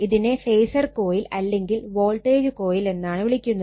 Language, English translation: Malayalam, And this phasor coil actually it is a voltage coil